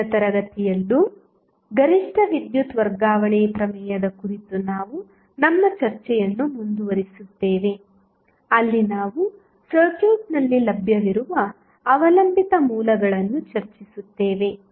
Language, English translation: Kannada, We will continue our discussion on maximum power transfer theorem in next class also, where we will discuss that in case the dependent sources available in the circuit